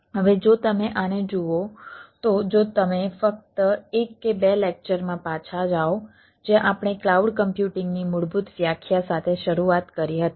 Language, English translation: Gujarati, now, if you, if you look at this ah, if you ah just go back in one or two lectures where we started with the basic definition of cloud computing